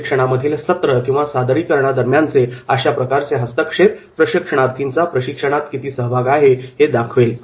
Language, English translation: Marathi, And those interventions during session or presentation that will demonstrate how much involvement is there